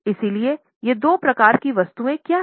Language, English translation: Hindi, So, what are these two types of items